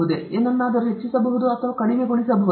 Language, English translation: Kannada, Can we increase or decrease something